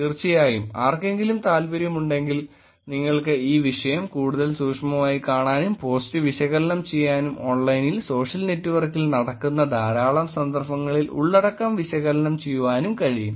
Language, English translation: Malayalam, Of course, if one is interested you could actually look at this topic more closely and do a lots of analysis on analyzing the post, analyzing the content that is going on online social network, both in the police in context